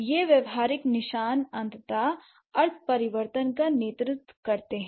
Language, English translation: Hindi, So, these pragmatic markers eventually lead to semantic change